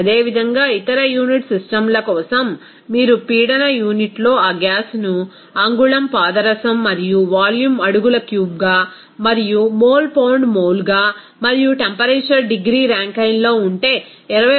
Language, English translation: Telugu, 9 if you are using that gas in pressure unit as inch mercury and volume is feet cube and also mole as pound mole and the temperature is in degree Rankine